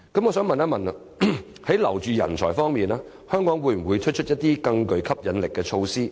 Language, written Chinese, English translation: Cantonese, 我想問，在留住人才方面，香港會否推出一些更具吸引力的措施？, May I ask if Hong Kong is going to introduce any policies with greater attractiveness so as to retain talents?